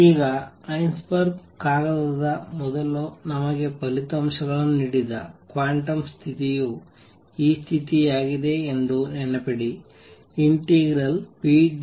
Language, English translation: Kannada, Now, recall that the quantum condition that gave us results before Heisenberg paper was this condition pdx equals n h